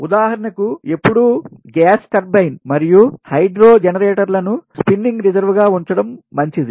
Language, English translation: Telugu, for example, it is always better to keep gas turbine and hydro generators as spinning reserve